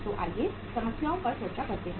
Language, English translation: Hindi, So let us discuss the problems